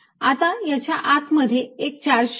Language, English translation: Marathi, now put a charge inside